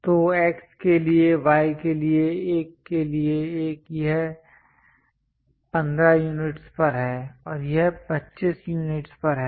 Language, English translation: Hindi, So, for X for Y for 1, 1 it is at 15 units and it is at 25 units